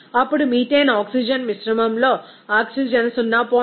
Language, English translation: Telugu, Then oxygen in methane oxygen mixture will be is equal to 0